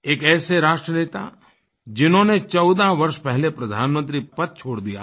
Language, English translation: Hindi, He was a leader who gave up his position as Prime Minister fourteen years ago